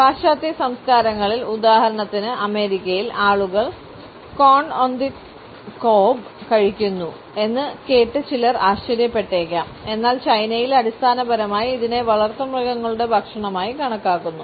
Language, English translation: Malayalam, Some people may be surprised to note that in western cultures, for example in America, corn on the cob is eaten whereas in China it is considered basically as a food for domestic animals